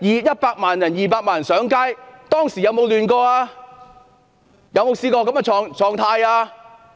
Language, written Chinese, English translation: Cantonese, 100萬上街、200萬人上街，當時有沒有出現混亂？, One million people and then two million people took to the street . Was there any disorder at that time?